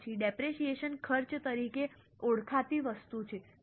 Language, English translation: Gujarati, After that, there is an item called as depreciation expense